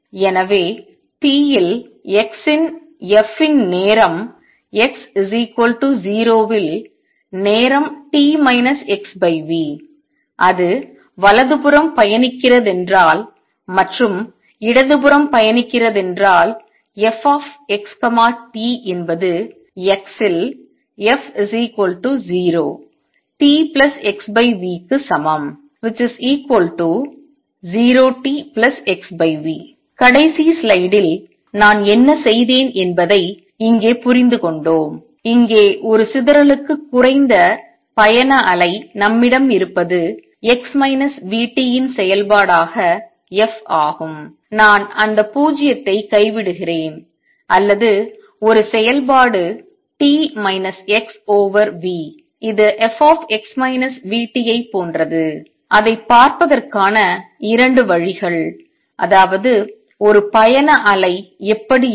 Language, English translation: Tamil, So, I can also write that f of x at t is same as f at x equal to 0 at time t minus x over v, if it is travelling to the right and if it is travelling to the left f x t is equal to f at x is equal to 0 t plus x over v, what we have understood what I did in the last slide and here that for a dispersion less travelling wave what we have is f as a function of x minus v t, I am dropping that 0 or a function t minus x over v which is a same as f x minus v t just 2 ways of looking at it that is how a travelling wave would look